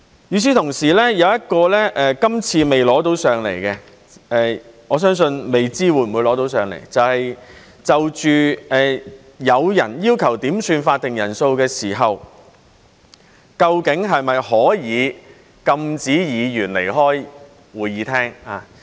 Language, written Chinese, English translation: Cantonese, 與此同時，有一項今次未能提交上來，我相信未知道會不會提交上來，就是當有人要求點算法定人數時，究竟是否可以禁止議員離開會議廳。, Meanwhile there is one amendment which cannot be incorporated this time . I still do not know whether it will be put forward . It is about whether Members can be forbidden from leaving the Chamber when a Member calls for a quorum